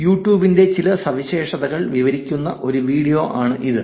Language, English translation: Malayalam, Here is a URL, here is a video, which describes some features of YouTube